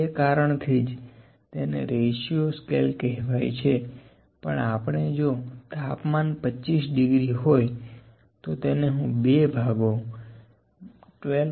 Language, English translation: Gujarati, That is why, it is known as the ratio scale, but we cannot say if a temperature is 25 degree, I will divide it into two parts 12